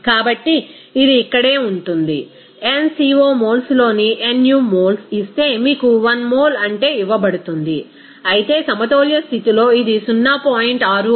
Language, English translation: Telugu, So, it will be here simply you can say that that n co moles in the nu moles it is given your what is that 1 mole whereas, at the equilibrium condition it is coming 0